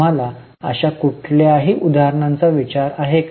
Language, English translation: Marathi, Do you think of any such examples